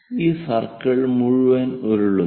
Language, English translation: Malayalam, And this entire circle rolls